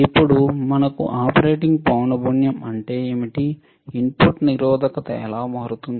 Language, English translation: Telugu, Then we have now what is the operating frequency, how the input resistance would change